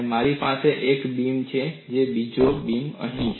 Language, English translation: Gujarati, I have one beam here, another beam here